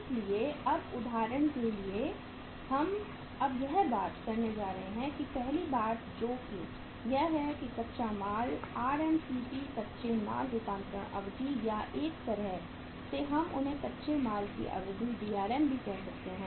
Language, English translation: Hindi, So now for example we are now going to talk about say first thing is that is the raw material RMCP raw material conversion period or in a way we call them as the Drm duration of raw material